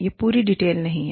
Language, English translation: Hindi, This is not the complete detail